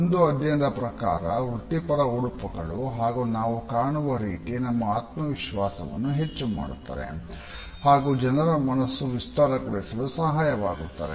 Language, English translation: Kannada, A study also indicate that a professional dress and appearance increases confidence and imparts a broader perspective to people